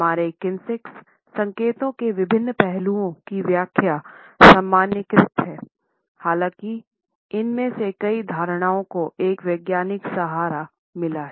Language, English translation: Hindi, The interpretations of various aspects of our kinesics signals are rather generalized even though many of these perceptions have got a scientific backing down